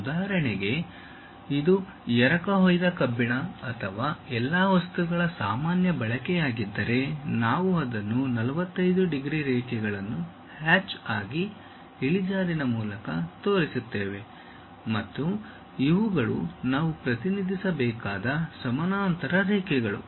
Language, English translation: Kannada, For example, if it is a cast iron or general use of all materials we show it by incline 45 degrees lines as a hatch and these are the parallel lines we have to really represent